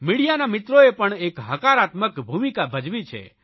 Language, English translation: Gujarati, Friends in the media have also played a constructive role